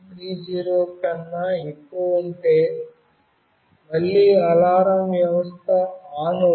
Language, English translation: Telugu, 30, again the alarm system will be put on